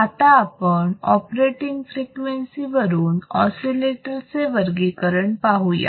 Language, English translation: Marathi, Now, let us see based on operating frequency how we can classify the oscillators